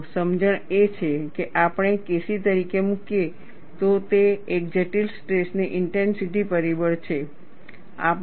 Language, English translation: Gujarati, See, the understanding is, if we put as K c, it is a critical stress intensity factor